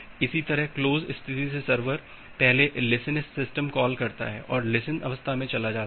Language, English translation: Hindi, Similarly the server from the close state, it first makes this listen system call and moves to the listen state